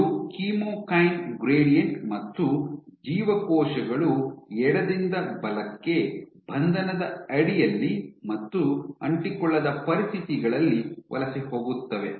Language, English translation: Kannada, So, this is my chemokine gradient, the cells will migrate from left to right under confinement and non adherent conditions